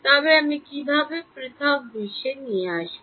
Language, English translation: Bengali, But how do I bring in the discrete world